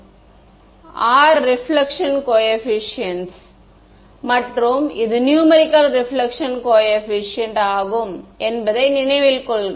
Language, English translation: Tamil, So, R is the reflection coefficient and this is remember the numerical reflection coefficient right